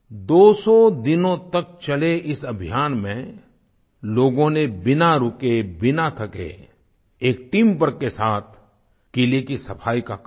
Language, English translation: Hindi, In this campaign lasting for two hundred days, people performed the task of cleaning the fort, nonstop, without any fatigue and with teamwork